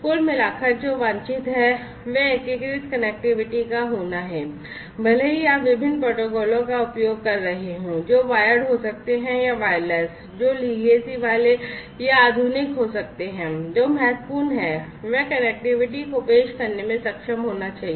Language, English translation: Hindi, Overall what is desirable is to have unified connectivity even if you are using an assortment of different protocols, which may be wired or, wireless or which could be the legacy ones or, the modern ones, what is important is to be able to offer unified connectivity, unified connectivity